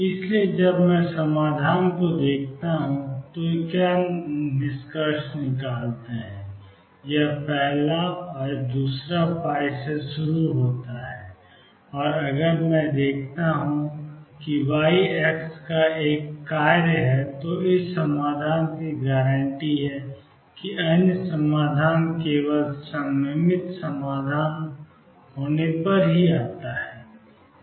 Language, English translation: Hindi, So, what we conclude when I look at the solution this is the first one, the other one starts from pi; and if I look at that y is a function of x this solution is guaranteed the other solution comes only if symmetric solution